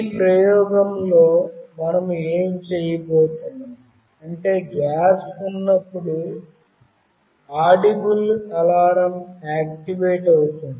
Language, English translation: Telugu, In this experiment what we will be doing is that when there is presence of gas, then an audible alarm will be activated